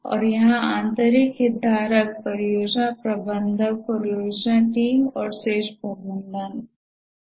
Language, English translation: Hindi, And here the internal stakeholders are the project manager, the project team, and the top management